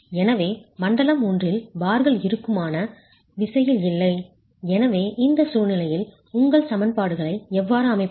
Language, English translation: Tamil, So in zone one, no bars are in tension and therefore in this situation, how do you set up your equations